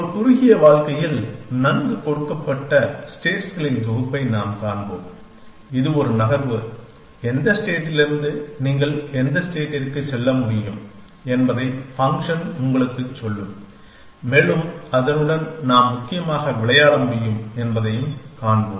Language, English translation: Tamil, We will see in a short life well given set of states it is a move them function will tells you from which state you can go to which other states essentially and we will see that we can play along that as well essentially